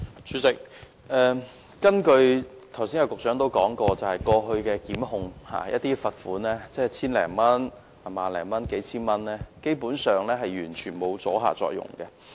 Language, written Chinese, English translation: Cantonese, 主席，根據局長剛才所說，過去遭檢控的個案的罰款為千多元、數千元或萬多元，基本上完全沒有阻嚇作用。, President as stated by the Secretary just now the amounts of fines imposed in the past prosecutions were 1,000 - odd several thousand dollars or 10,000 - odd . Basically there was no deterrent effect at all